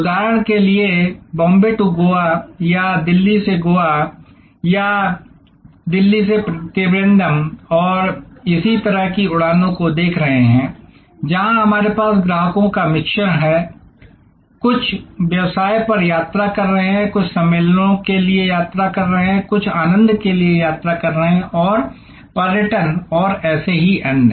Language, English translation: Hindi, Say for example, Bombay to Goa or we are looking at Delhi to Goa or Delhi to Trivandrum and similar flights, flights, where we have a mix of customers, some are traveling on business, some are traveling for conferences, some are traveling for pleasure and tourism and so on